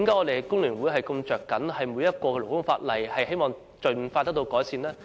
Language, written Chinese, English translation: Cantonese, 為何工聯會如此着緊每項勞工法例，希望這些法例盡快改善？, Why does FTU care so much about each piece of labour legislation and hopes to make expeditious improvement?